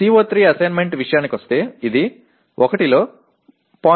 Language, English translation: Telugu, As far as CO3 assignment is concerned it is 0